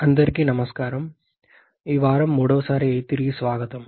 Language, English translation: Telugu, Hello everyone so welcome back for the third time this week